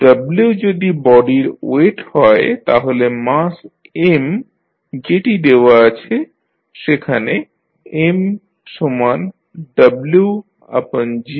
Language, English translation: Bengali, If w is the weight of the body then mass M can be given as M is equal to w by g